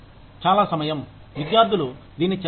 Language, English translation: Telugu, A lot of time, students do this